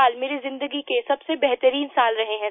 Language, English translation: Hindi, three years have been the best years of my life